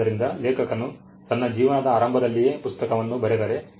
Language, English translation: Kannada, So, if the author writes a book very early in his life